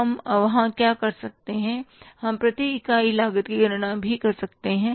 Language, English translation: Hindi, What we can do there is we can even calculate the per unit cost, right